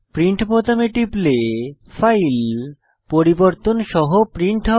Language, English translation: Bengali, If you click on Print button, the file will be printed with the changes made